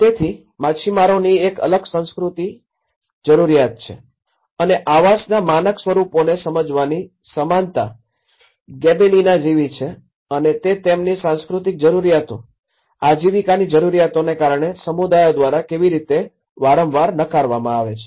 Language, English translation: Gujarati, So if, the fisherman has a different cultural need and similar to the Gibellina of understanding of the uniform and the standardized forms of housing and how it often gets rejected by the communities because of their cultural needs, livelihood needs